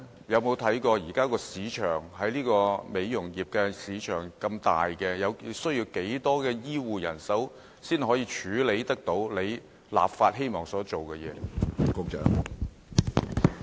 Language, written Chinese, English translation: Cantonese, 現時美容業市場龐大，局長有否評估需要多少醫護人手才能處理立法希望進行的工作呢？, The beauty industry market is large . Has the Secretary assessed how many HCPs are needed to perform the procedures the legislation seeks to regulate?